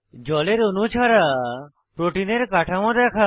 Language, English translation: Bengali, * View Protein structure without water molecules